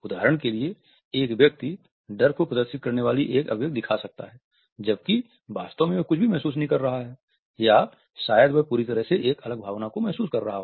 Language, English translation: Hindi, A person may show an expression that looks like fear when in fact they may feel nothing or maybe they feel a different emotion altogether